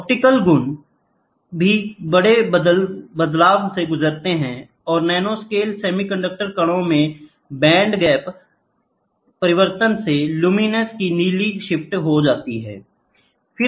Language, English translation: Hindi, The optical property also undergoes major change, the band gap changes in nanoscale semiconductor particles lead to a blue shift of luminescence